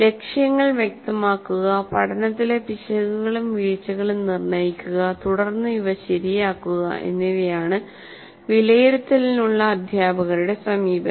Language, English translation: Malayalam, And the teacher's approach to assessment is to make goals clear to diagnose errors and omissions in learning and then correct these